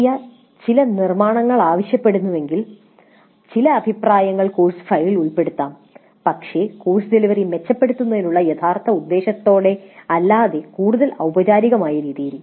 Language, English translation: Malayalam, If the process demands that certain constructions, certain comments be included in the course file, they might do it but again in a more formal way rather than with any real intent at improving the course delivery